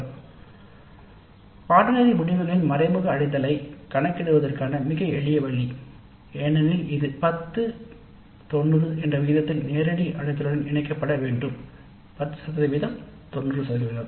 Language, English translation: Tamil, So, very very simple way of calculating the indirect attainment of the course of this is to be combined with the direct attainment in the ratio of 10 is to 90, 10% 90%